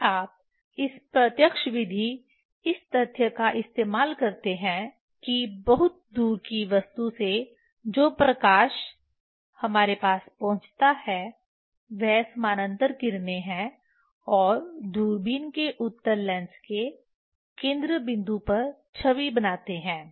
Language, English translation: Hindi, If you; in that direct method utilizing of the fact that light from the very distant object reach to us is parallel rays and from image at focal point of convex lens of the telescope